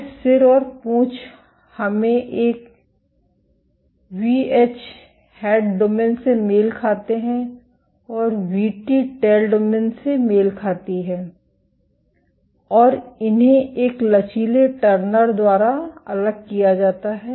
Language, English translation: Hindi, These head and tail let us a Vh corresponds to the head domain and Vt corresponds to the tail domain and they are separated by a flexible linker